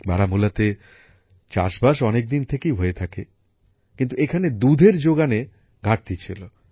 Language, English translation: Bengali, Farming has been going on in Baramulla for a long time, but here, there was a shortage of milk